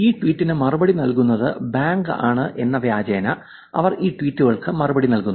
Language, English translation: Malayalam, They actually reply to these tweets as though it is the bank which is replying to this tweet